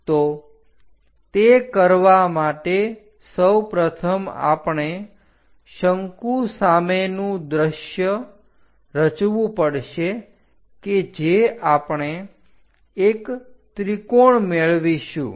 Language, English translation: Gujarati, So, to do that first of all we have to construct a cone in the frontal view which we will get as a triangle